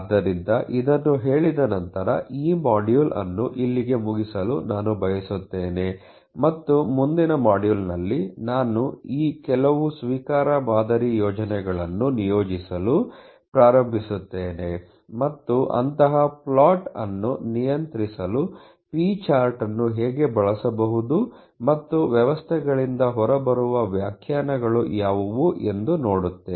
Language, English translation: Kannada, So having said that I would like to close this module here and the next module would start to plotted at least some of these acceptance sampling plans, and how p chart can be used to govern such a plotting and what could be the interpretations coming out of the systems